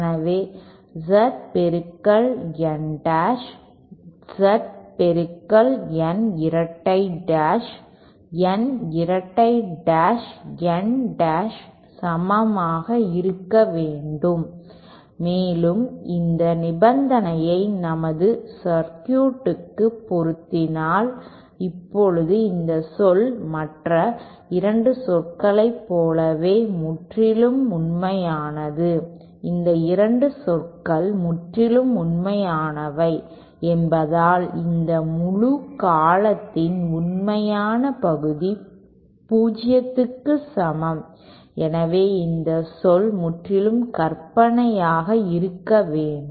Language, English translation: Tamil, Hence Z of N dash N double dash should be equal to Z of N double dash N dash and this condition if we apply to our circuit translates toÉ Now this term is purely real just like the other 2 terms these 2 terms are purely real since the real part of this whole term is equal to 0, hence this term must be purely imaginary